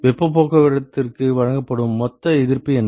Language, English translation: Tamil, What is the total resistance offered for heat transport